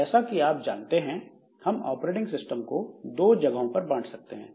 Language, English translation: Hindi, So, as you know that in any operating system, so we can say that it can be divided into two region